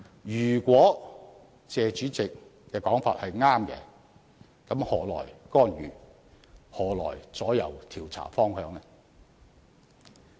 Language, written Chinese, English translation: Cantonese, 如果謝議員的說法正確，那麼又何來干預，何來左右調查方向呢？, If Mr TSEs remarks are correct how can we talk about interfering with or affecting the direction of inquiry?